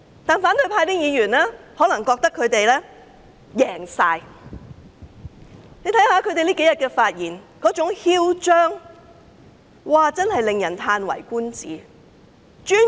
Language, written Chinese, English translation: Cantonese, 可是，反對派議員可能認為他們完全勝利，他們這數天發言時十分囂張，真是嘆為觀止。, Yet opposition Members may think that they have complete victory as evident from the very arrogant speeches they made these few days which was indeed eye - opening